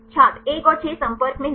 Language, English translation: Hindi, 1 and 6 not in contact